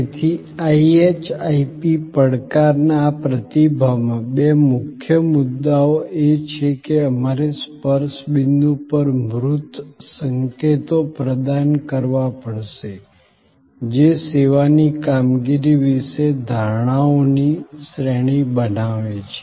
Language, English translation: Gujarati, So, in this response to the IHIP challenge, the two key points are that we have to provide tangible clues at the touch points, which create a series of perceptions about the service performance